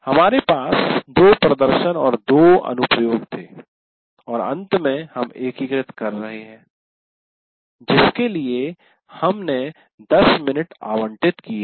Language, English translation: Hindi, That is we had two demonstrations and two applications and finally we are integrating and we allocated about 10 minutes